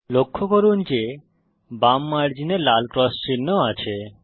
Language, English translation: Bengali, Notice that , there is a red cross mark on the left margin